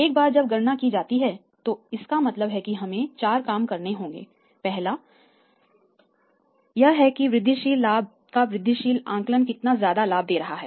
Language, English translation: Hindi, Once that is calculated means we have to do 4 thing is first thing is that incremental estimation of the incremental profit